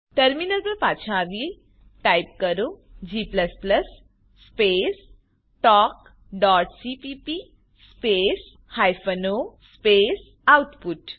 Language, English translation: Gujarati, Come back to our terminal Type g++ space talk.cpp space hyphen o space output